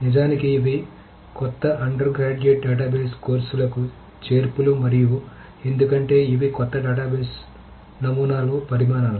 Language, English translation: Telugu, Note that these are new additions to the undergraduate database courses and these are actually because these are new developments in the database paradigm